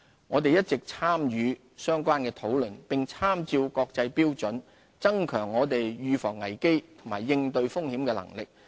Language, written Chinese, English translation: Cantonese, 香港一直積極參與相關討論，並參照國際標準，增強我們預防危機及應對風險的能力。, Hong Kong participates actively in the relevant discussions and endeavours to strengthen our crisis prevention and risk management capabilities in line with international standards